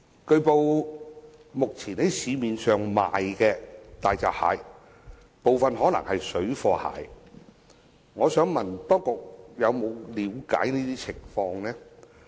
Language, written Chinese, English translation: Cantonese, 據報，目前在市面上出售的大閘蟹，可能有部分是"水貨蟹"，我想問當局有否了解相關情況？, It has been reported that some of the hairy crabs currently being sold in the local market are probably parallel imports . May I ask if the authorities have looked into the situation?